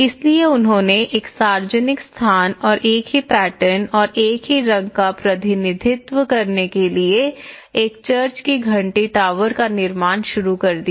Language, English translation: Hindi, So, they started building a church bell tower to represent a public place and in the same pattern and the same colour